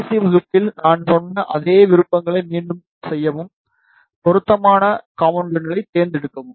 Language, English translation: Tamil, And just repeat the same options that I told you in the last class, select the appropriate component